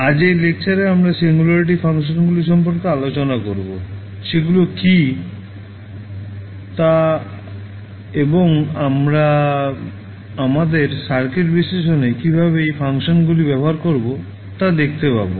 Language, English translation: Bengali, So, today in this lecture we will discuss about the singularity functions, what are those functions and we will see how we will use those functions in our circuit analysis